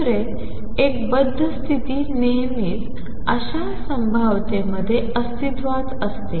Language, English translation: Marathi, Second: one bound state always exist in such a potential